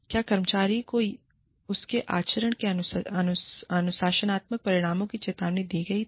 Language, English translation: Hindi, Was the employee, fore warned of the disciplinary consequences, of his or her conduct